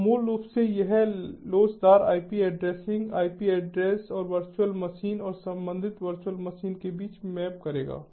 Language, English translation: Hindi, so basically, this elastic ip addressing will map between the ip addresses and the virtual machine: ah